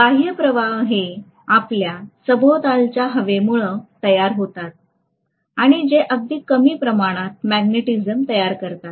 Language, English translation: Marathi, So extrinsic flux is essentially due to the air which is surrounding it and which is creating a very very small amount of magnetism